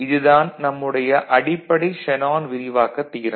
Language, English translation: Tamil, So, this was our the basic Shanon’s expansion theorem